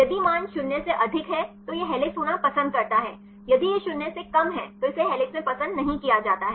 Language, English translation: Hindi, If the value is more than 0 then it prefers to be helix if it less than 0 is not to prefer in helix